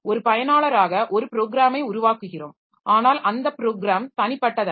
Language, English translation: Tamil, So, as a user, so maybe we develop, I am developing a program, but that program is not a standalone one